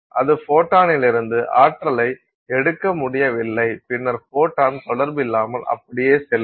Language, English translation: Tamil, So, it is unable to pick up that energy from the photon and then the photon just passes on without interaction